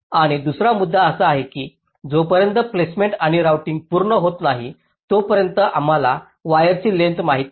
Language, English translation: Marathi, and the second point is that unless placement and outing are completed, we do not know the wire lengths